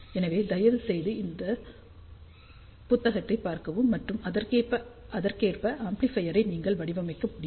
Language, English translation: Tamil, So, please see the book and then you will be able to design the amplifier accordingly